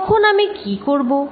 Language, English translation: Bengali, What would I do then